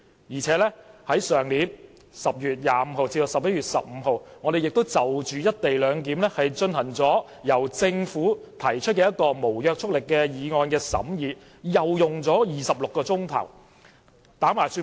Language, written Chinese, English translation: Cantonese, 而且，去年10月25日至11月15日，立法會會議亦曾審議由政府提出的一項"一地兩檢"無約束力議案，總共用了26小時。, Furthermore from 25 October to 15 November last year a non - binding motion on the co - location arrangement proposed by the Government was discussed at the Legislative Council meetings for a total of 26 hours